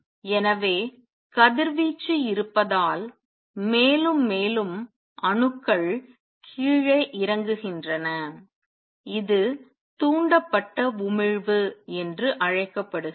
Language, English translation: Tamil, So, presence of radiation makes more and more atoms also come down and this is known as stimulated emission